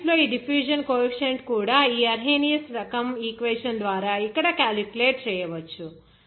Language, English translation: Telugu, The diffusion coefficient in the solids also you can calculate this Arrhenius type equation here